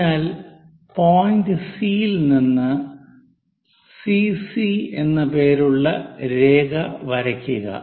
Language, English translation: Malayalam, So, somewhere at point C draw a line name it CC prime